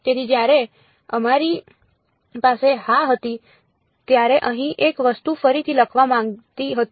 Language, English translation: Gujarati, So, when we had yeah just wanted to re rewrite one thing over here